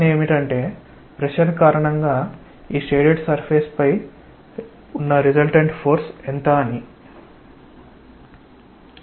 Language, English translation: Telugu, The question is, what is the resultant force on this shaded surface because of pressure